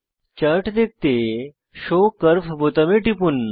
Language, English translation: Bengali, Click on Show curve button to view the Chart